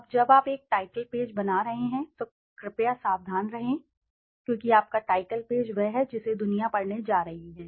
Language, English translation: Hindi, Now when you are making a title page please be very careful because your title page is the one which the world is going to read